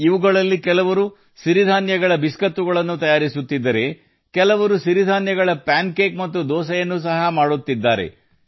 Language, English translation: Kannada, Some of these are making Millet Cookies, while some are also making Millet Pancakes and Dosa